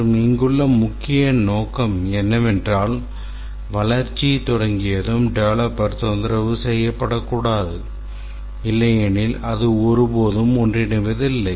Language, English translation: Tamil, And the main idea here is that once the development starts, the developer should not be disturbed because otherwise it will never converge